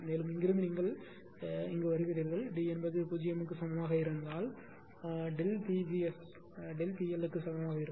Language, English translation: Tamil, And from here you are here from here we have seen that if D is equal to 0 directly delta Pg S S is equal to delta P L you are getting